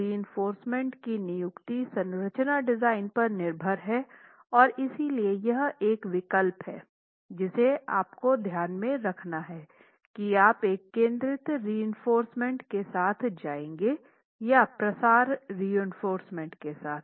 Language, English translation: Hindi, So, this is the placement of the reinforcement is up to the structural designer and therefore that is one choice you need to make whether you are going with a concentrated reinforcement or a spread reinforcement